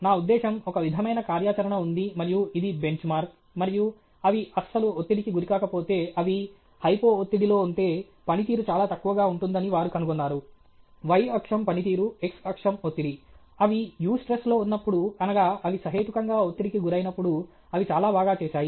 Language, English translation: Telugu, I mean, there is some sort of a activity and this was benchmark, and now they figured out that if they are not stressed at all, if they are in hypo stress, then the performance is very low; the y axis is performance, the x axis is pressure; when they are in eustress, when they are reasonably stressed, they did very well okay